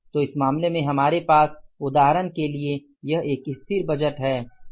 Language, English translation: Hindi, So, in this case we have for example if it is a static budget